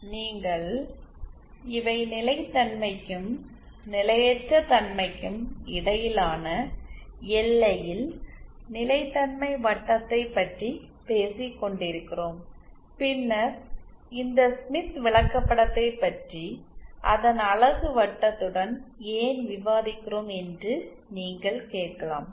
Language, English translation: Tamil, You might ask me here these are talk about stability circle in the boundary between stability and instability then why are we discussing about this smith chart with its unit circle